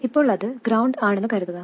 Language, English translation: Malayalam, For now, let's assume it is at ground